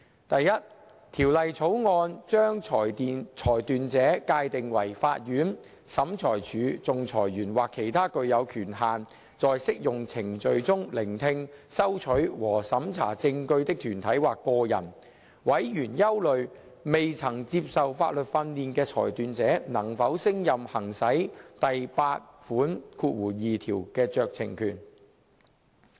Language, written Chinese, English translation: Cantonese, 第一，《條例草案》把裁斷者界定為法院、審裁處、仲裁員或其他具有權限在適用程序中聆聽、收取和審查證據的團體或個人。委員憂慮未曾接受法律訓練的裁斷者能否勝任行使第82條的酌情權。, First the Bill defines a decision maker as a court a tribunal an arbitrator or any body or individual having the authority to hear receive and examine evidence in the applicable proceedings but members were concerned about the competence of decision makers who were not legally trained persons to exercise the discretion under clause 82